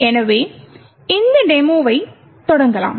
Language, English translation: Tamil, So, lets, actually start this demo